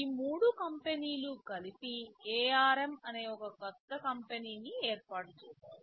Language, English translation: Telugu, These threeis 3 companies came together and formed this new company called ARM